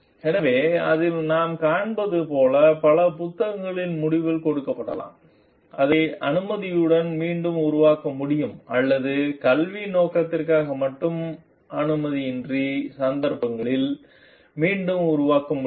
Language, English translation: Tamil, So, what we find in the may be given at the end of the many books like, it can be reproduced with permission, or it can be reproduced in cases without permission also only for the purpose of education